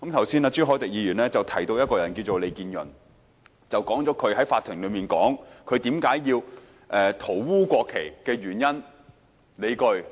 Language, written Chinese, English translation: Cantonese, 朱凱廸議員剛才提到一位名叫利建潤的人，指他在法庭上解釋他塗污國旗的原因和理據。, Mr CHU Hoi - dick has just mentioned a man called LEE Kin - yun who explained in court the reasons and rationale for him scrawling on the national flag